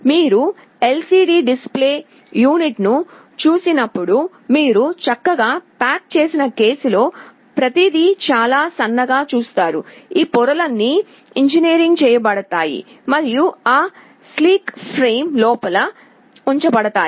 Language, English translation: Telugu, When you see an LCD display unit, you see everything in a nicely packaged case, very thin, all these layers are engineered and put inside that sleek frame